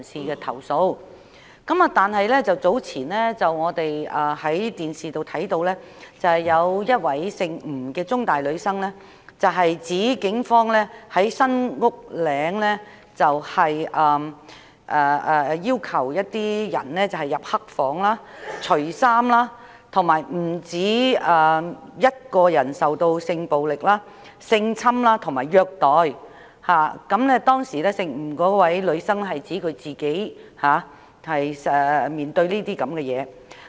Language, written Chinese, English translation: Cantonese, 然而，早前我們從電視看到，有1位香港中文大學的吳姓女生指警方在新屋嶺拘留中心要求一些被捕人士進入"黑房"脫衣，並有不止1人曾受到性暴力、性侵及虐待，當時吳姓女生指她本人也曾面對這些情況。, However as we have seen from the television earlier a female student from The Chinese University of Hong Kong surnamed NG said that the Police had requested some arrestees to take off their clothes in the dark room of SULHC and more than one such arrestee had been subject to sexual violence sexual assault and brutal assault . The female student surnamed NG said that was what she personally experienced at that time